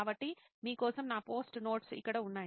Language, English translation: Telugu, So here are my post it notes for you